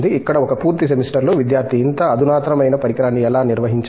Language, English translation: Telugu, Where, one full semester the student goes through, how to handle this such a sophisticated instrument